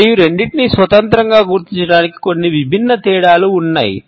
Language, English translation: Telugu, And there are certain distinct differences to identify the two independently